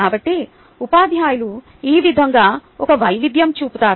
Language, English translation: Telugu, so this is how teachers make a difference